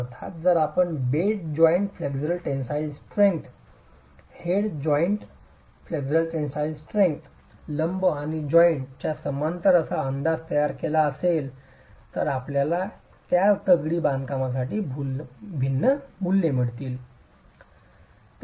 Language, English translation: Marathi, Of course, to complicate matters, if you were to make an estimate of bed joint flexual tensile strength, head joint flexual tensile strength perpendicular and parallel to the joint, you will get different values for the same masonry